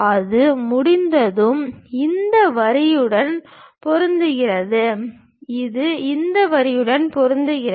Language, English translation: Tamil, Once that is done we have this line, which is matching with this line